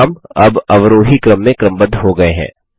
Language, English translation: Hindi, The names are now sorted in the descending order